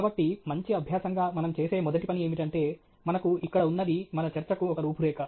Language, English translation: Telugu, So, first thing we do is a good practice is to have an outline, and which is what we have here an outline for our talk